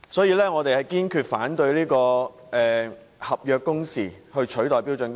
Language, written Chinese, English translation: Cantonese, 因此，我們堅決反對以合約工時取代標準工時。, Therefore we firmly oppose replacing standard working hours with contractual working hours